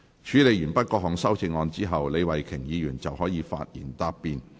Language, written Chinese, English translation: Cantonese, 處理完畢各項修正案後，李慧琼議員可發言答辯。, After the amendments have been dealt with Ms Starry LEE may reply